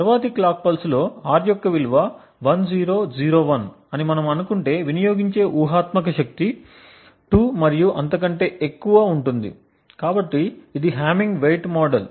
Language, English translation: Telugu, In the next clock pulse let us if we assume that R has a value of 1001 then the hypothetical power consumed is 2 and so on, so this is the hamming weight model